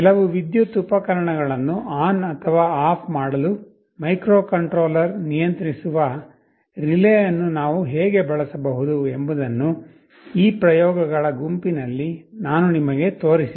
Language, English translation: Kannada, In this set of experiments I showed you how we can use a relay controlled by a microcontroller to switch ON or OFF some electrical appliance